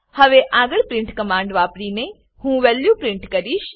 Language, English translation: Gujarati, Next I want to print the value using print command